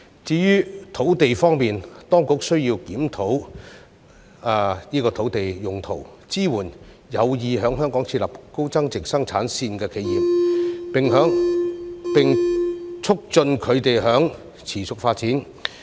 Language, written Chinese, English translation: Cantonese, 至於土地方面，當局需要檢討土地用途，支援有意在香港設立高增值生產線的企業，並促進它們的持續發展。, Regarding land the authorities need to conduct land use reviews provide support for enterprises which intends to set up high value - added production lines in Hong Kong while facilitating their sustainable development